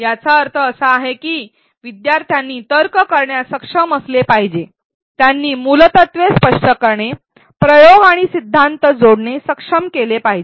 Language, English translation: Marathi, What this means is that learner should be able to reason, they should be able to explain phenomenon, connect experiment and theory